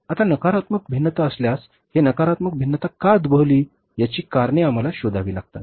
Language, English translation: Marathi, Now if there is a negative variance we will have to find out the reasons for that why this negative variance has come up